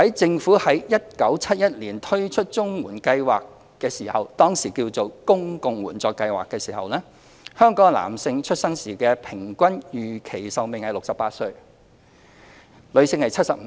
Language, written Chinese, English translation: Cantonese, 政府在1971年推出綜援計劃時，當時稱為公共援助計劃，香港男性出生時的平均預期壽命為68歲，女性是75歲。, When the CSSA Scheme formerly known as the Public Assistance Scheme was first introduced by the Government in 1971 the life expectancy at birth for male was 68 and that for female was 75